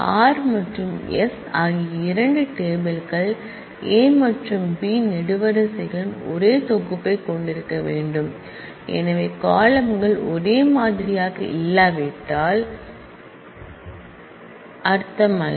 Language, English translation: Tamil, The 2 relations r and s must have the same set of columns A and B because, if the columns are not same, then the union does not make sense